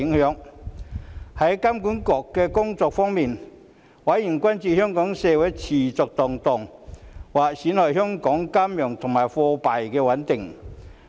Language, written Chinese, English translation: Cantonese, 在香港金融管理局工作方面，委員關注香港社會持續動盪，或會損害香港的金融及貨幣穩定。, On the work of the Hong Kong Monetary Authority HKMA members expressed concern that the lingering social unrest in Hong Kong might undermine its financial and monetary stability